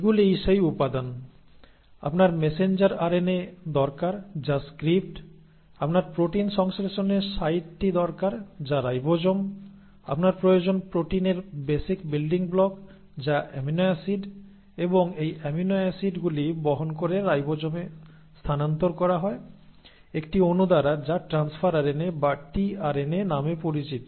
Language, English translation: Bengali, Now that is what are the ingredients, you need the messenger RNA which is the script, you need the site of protein synthesis which is the ribosome, you need the basic building blocks of proteins which are the amino acids and these amino acids are ferried to the ribosomes by a molecule called as transfer RNA or tRNA